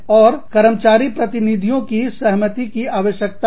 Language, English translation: Hindi, And, the agreement of the employee representatives, is required